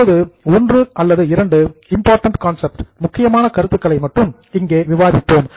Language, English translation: Tamil, Now we will just consider one or two important concepts